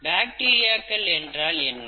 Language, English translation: Tamil, Now what is bacteria